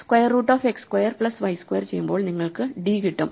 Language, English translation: Malayalam, So, you take a x square plus y square root and you get d